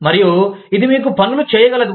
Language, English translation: Telugu, And, it can do things to you